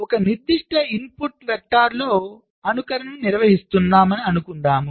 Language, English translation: Telugu, suppose we are carrying out simulation with a particular input vector, lets say one, zero and zero